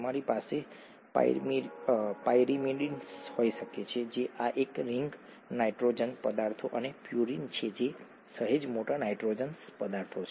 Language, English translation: Gujarati, You could have pyrimidines which are these one ring nitrogenous substances and purines which are slightly bigger nitrogenous substances, okay